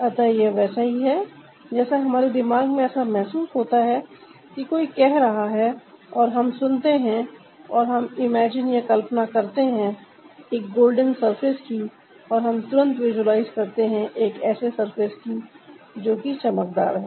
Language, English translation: Hindi, it like if somebody says, ah, or we get to hear or we imagine a golden surface, we quickly, like, promptly, we visualize a surface that is shiny